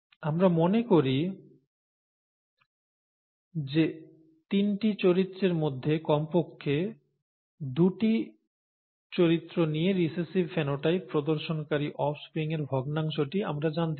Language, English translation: Bengali, And let us say that we would like to know the fraction of the offspring that exhibit recessive phenotypes for atleast two of the three characters